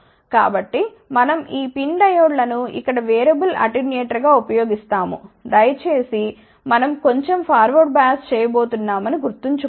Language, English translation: Telugu, So, we use these PIN diodes over here as variable attenuator, please remember that we are only going to do slightly forward bias